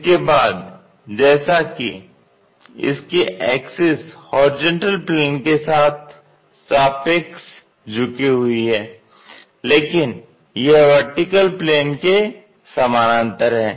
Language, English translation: Hindi, Once it is done, its axis if we are seeing that is still making an inclination with a horizontal plane, but it is parallel to vertical plane